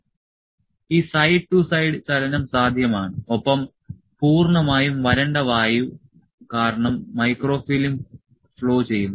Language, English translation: Malayalam, So, this side to side movement is possible and microfilm flows due to complete dry air